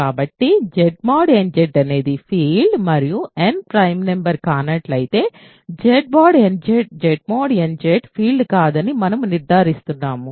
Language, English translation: Telugu, So, if Z mod nZ is a field and n is not a prime number we are concluding that Z mod n bar Z mod nZ is not a field